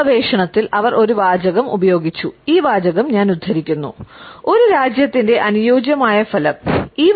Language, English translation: Malayalam, She has used a phrase in this research and I quote this phrase, ideal effect of a nation